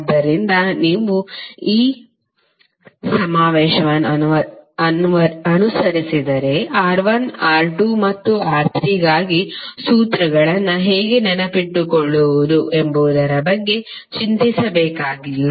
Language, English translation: Kannada, So if you follow this convention, you need not to worry about how to memorize the formulas for R1, R2 and R3